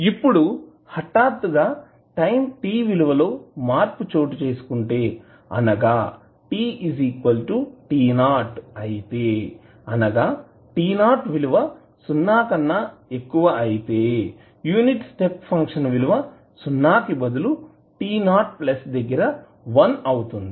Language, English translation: Telugu, Now, if the abrupt change occurs at any time t is equal to t naught where t naught is greater than 0 then instead of t is equal to 0 the unit step function will become 1 at time t naught plus